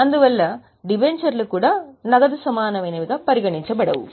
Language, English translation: Telugu, That is why debentures are also not considered as cash equivalent